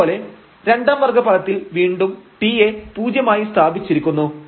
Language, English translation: Malayalam, Similarly, for the second order term again t will be set to 0